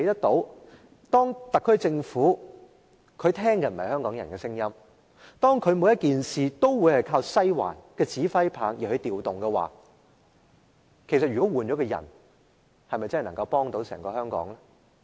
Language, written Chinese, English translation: Cantonese, 當特區政府不聽香港人的聲音，凡事聽從"西環"的指揮，即使換上另一個人，對香港又有否幫助呢？, When the SAR pays no heed to the voices of Hong Kong people and listens only to the Western District can Hong Kong benefit in any way even if the Chief Executive is replaced?